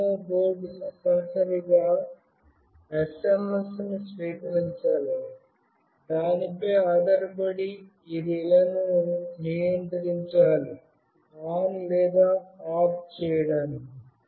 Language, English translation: Telugu, The Arduino board must receive the SMS, depending on which it should control this relay to make it ON or OFF